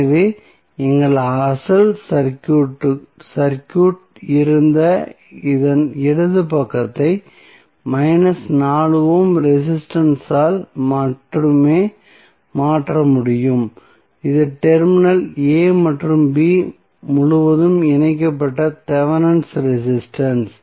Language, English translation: Tamil, So, the left side of this which was our original circuit can be replaced by only the 4 ohm that is minus 4 ohm resistance that is Thevenin resistance connected across terminal a and b